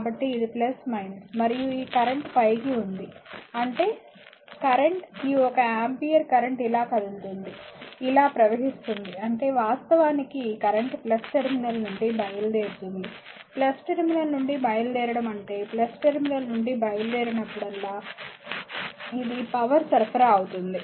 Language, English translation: Telugu, So, this is plus minus and this current is upward means current is your what you call this one ampere current is moving like this, flowing like this; that means, current actually leaving this terminal the plus plus terminal as well as a leaving means it is power supplied right whenever current leaving the plus terminal this power it is power supplied